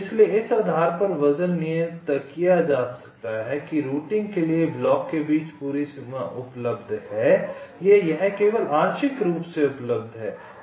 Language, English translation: Hindi, so weights can be assigned accordingly, depending on whether the whole boundary between the blocks are available for routing or it is only partially available, right